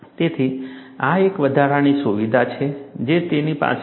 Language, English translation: Gujarati, So, this is an additional feature it has